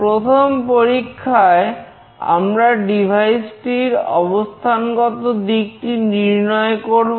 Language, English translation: Bengali, In the first experiment will determine the orientation of the device